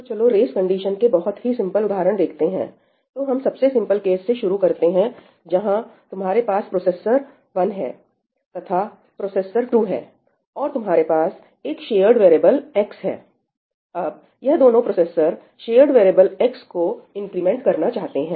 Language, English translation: Hindi, let us start with very simple case where you have processor 1 and you have processor 2 and you have a shared variable x; and both these processors want to increment this shared variable x